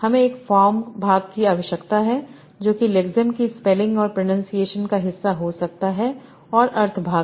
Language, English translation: Hindi, I need a form part that can be the spelling of the lexine plus the pronunciation and the meaning part